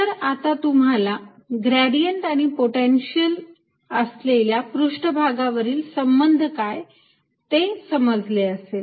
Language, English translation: Marathi, so you understood the relationship between gradient and constant potential surfaces